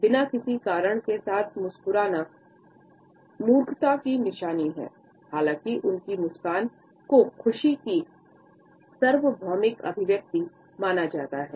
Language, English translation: Hindi, A Russian proverb says that smiling with no reason is a sign of stupidity; even though their smile itself is considered to be a universal expression of happiness